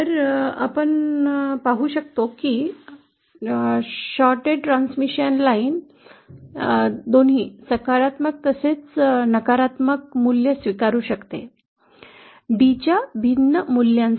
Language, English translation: Marathi, So we can see a shorted transmission line can take on both positive values as well as negative values for different values of d